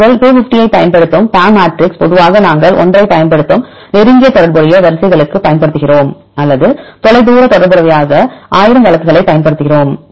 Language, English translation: Tamil, We discuss for the closely related sequences which PAM matrix you use 250 is normally used right for the closely related sequences we use 1 or for distantly related we use 1000 all right for general case